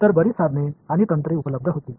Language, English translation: Marathi, So, many tools and techniques were available